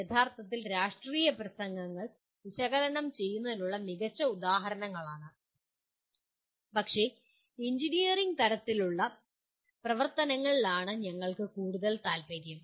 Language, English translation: Malayalam, And actually political speeches they are great things to really examples for analyzing but we are more interested in the engineering type of activity